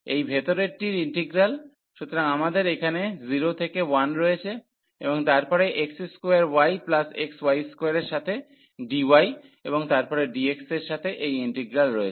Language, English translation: Bengali, So, this integral of the inner one, so we have this integral here 0 to 1 and then x square to x the integrant is x square y and plus we have x y square with respect to dy and then dx